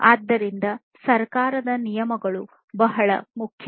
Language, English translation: Kannada, So, government regulations are very important